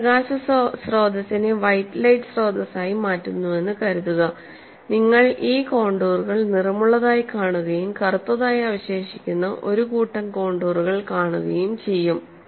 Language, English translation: Malayalam, Suppose I change the light source to white light source, you will see these contours as coloured and one set of contours that are remaining black